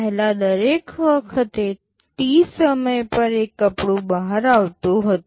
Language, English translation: Gujarati, Earlier one cloth was coming out every time T